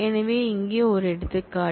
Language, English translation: Tamil, So, here is one example